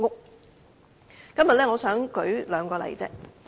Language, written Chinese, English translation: Cantonese, 我今天只想舉出兩個例子。, I will only cite two examples today